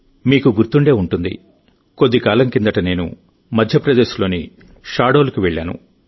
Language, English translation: Telugu, You might remember, sometime ago, I had gone to Shahdol, M